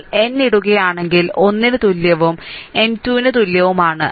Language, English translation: Malayalam, This is your now what you do is you put n is equal to 1, n is equal to 2 and n is equal to 3